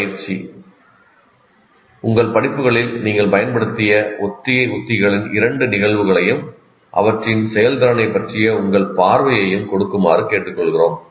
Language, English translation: Tamil, So as an exercise, we request you to give two instances of rehearsal strategies that you actually used in your courses and your view of their effectiveness